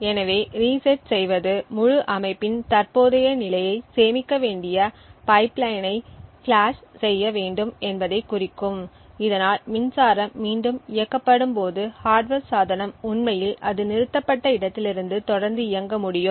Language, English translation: Tamil, So, resetting would imply that we would need to flush the pipeline we need to save the current state of the entire system so that when the power is turned on again the hardware device can actually continue to execute from where it had stopped